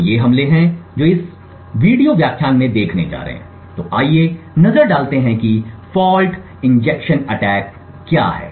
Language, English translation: Hindi, So these attacks are what we are going to look at in this video lecture so let us look at what fault injection attacks are